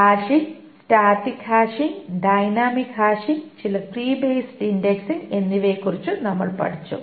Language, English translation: Malayalam, And we studied about hashing, static hashing and dynamic hashing and some tree based indexing